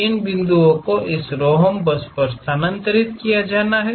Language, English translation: Hindi, These points have to be transfer on to this rhombus